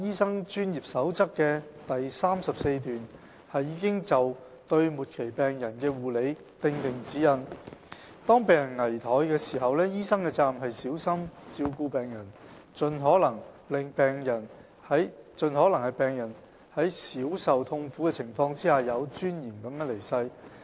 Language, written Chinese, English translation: Cantonese, 三《專業守則》的第34段已就對末期病人的護理訂定指引。當病人危殆時，醫生的責任是小心照顧病人，盡可能令病人在少受痛苦的情況下有尊嚴地去世。, 3 Paragraph 34 of the Code provides guidelines on care for the terminally ill Where death is imminent it is the doctors responsibility to take care that a patient dies with dignity and with as little suffering as possible